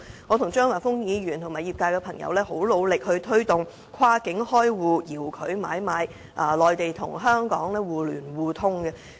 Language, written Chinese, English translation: Cantonese, 我與張華峰議員和業界朋友也很努力地推動跨境開戶、遙距買賣，以及內地與香港互聯互通。, Mr Christopher CHEUNG and I as well as members of the industry have made great efforts to promote cross - border account opening remote trading and interconnectivity between the Mainland and Hong Kong